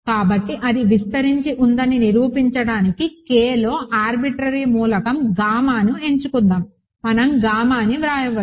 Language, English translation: Telugu, So, to prove that it spans let us choose an arbitrary element gamma in K, we can write gamma